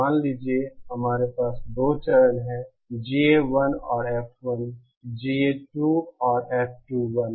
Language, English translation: Hindi, Suppose, we have two one stage, GA1 and F1, GA 2 and F2